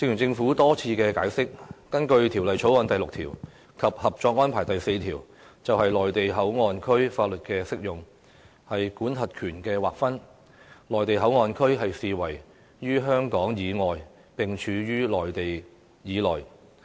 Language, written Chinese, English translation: Cantonese, 政府多次解釋，根據《條例草案》第6條及《合作安排》第四條就內地口岸區法律適用範圍及管轄權劃分的規定，內地口岸區的範圍，視為處於香港以外並處於內地以內。, The Government has explained time and again that in accordance with the application of laws and the delineation of jurisdiction stipulated in clause 6 of the Bill and Article 4 of the Co - operation Arrangement the Mainland Port Area is regarded as an area lying outside Hong Kong but lying within the Mainland